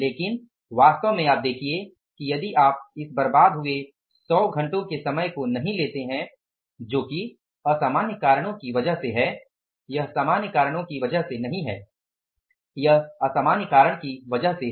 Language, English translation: Hindi, But actually you see that if you do not take into consideration this time wasted of 100 hours which is because of the abnormal reasons